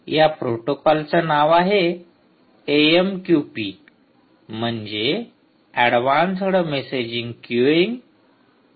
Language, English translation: Marathi, the name of this protocol is a m q p advanced messaging queuing protocol, ah